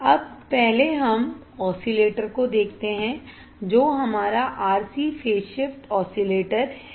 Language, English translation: Hindi, Now, let us see first oscillator that is our RC phase shift oscillator RC phase shift oscillators